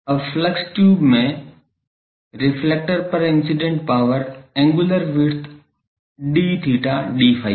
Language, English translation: Hindi, Now, the power incident on the reflector, power incident on the reflector in the flux tube of angular width d theta d phi, is what